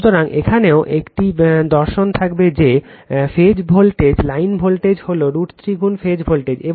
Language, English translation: Bengali, So, in here also same philosophy will be there that, your phase voltage line voltage is root 3 times phase voltage